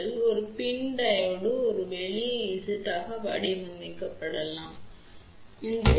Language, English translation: Tamil, So, a PIN Diode can be modeled as a simple Z d where Z d is equivalent to R plus j X